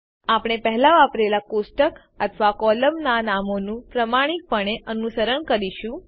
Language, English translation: Gujarati, We will faithfully follow the table or column names we used earlier